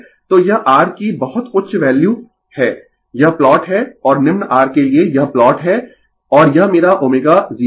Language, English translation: Hindi, So, this is very high value of R this is the plot and for low R this is the plot and this is my omega 0